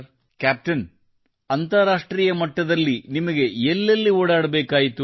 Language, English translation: Kannada, Captain, internationally what all places did you have to run around